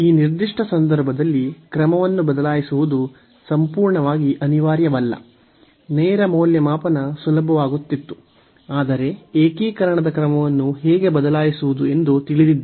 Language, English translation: Kannada, So, in this particular case it was absolutely not necessary to change the order in fact, the direct evaluation would have been easier; but, here the inverse to learn how to change the order of integration